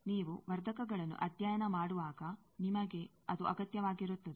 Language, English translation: Kannada, When you study amplifiers, you require that